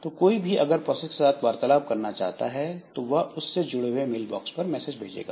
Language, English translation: Hindi, So, anybody wanting to send a message to a process, so it will send a message to the corresponding mail box